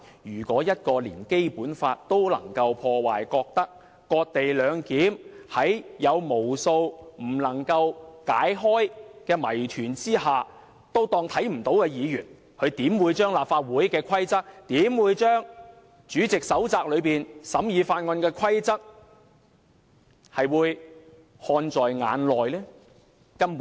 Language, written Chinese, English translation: Cantonese, 如果一名議員連《基本法》也能破壞，覺得"割地兩檢"有無數不能解開的謎團，但仍可視而不見，他們又怎會把立法會規則和主席手冊中審議法案的規則看在眼內？, If any Members can flout the Basic Law and ignore the numerous unsolved doubts about the cession - based co - location arrangement how can we expect them to respect the rules of the Legislative Council on the scrutiny of bills as stated in the chairmans handbook?